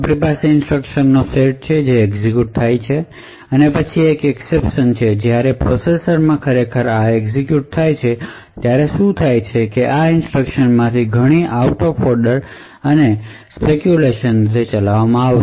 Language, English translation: Gujarati, So this particular figure shows how this program executes so we have a set of instructions that gets executed and then there is an exception and what happens when these actually gets executed in the processor is that many of these instructions will actually be executed speculatively and out of order